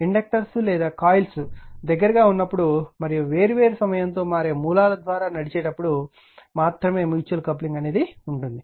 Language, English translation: Telugu, Mutual coupling only exist when the inductors are coils are in close proximity and the circuits are driven by time varying sources